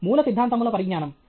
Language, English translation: Telugu, Knowledge of the fundamentals